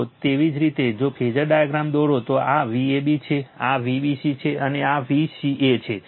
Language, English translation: Gujarati, So, similarly if you draw the phasor diagram, this is your V ab, this is V bc, this is vca